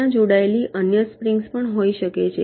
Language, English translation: Gujarati, there can be other springs also connected